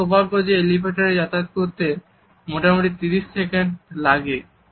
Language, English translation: Bengali, Lucky for me, the average elevator ride last just 30 seconds